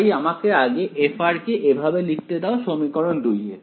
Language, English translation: Bengali, So, maybe I should let me just write it like this f of r into equation 2